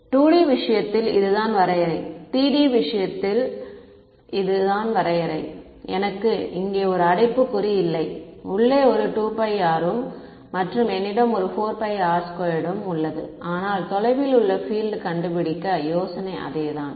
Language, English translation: Tamil, In the case of 2 D this is the definition, in the case of 3 D this is the definition; inside of a 2 pi r I have a 4 pi r squared, but the idea is the same find the field far away